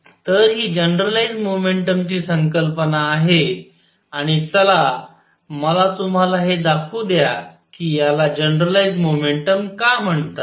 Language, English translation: Marathi, So, this is the concept of generalized momentum and let me show you why it is called generalized momentum